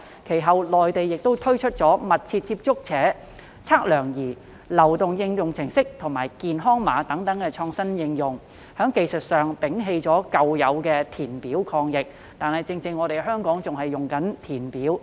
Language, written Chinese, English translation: Cantonese, 其後，內地推出"密切接觸者測量儀"流動應用程式和健康碼等創新應用，從技術上捨棄舊式的填表抗疫，但香港卻仍然在填表。, Subsequently the Mainland launched some innovative applications including a mobile application called the Close Contact Detector and a health code system and technically got rid of the conventional need for filling in physical forms in its combat against the epidemic . But in contrast Hong Kong still relies on the manual filling in of forms